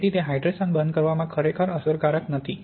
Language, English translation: Gujarati, So it is not really effective in stopping the hydration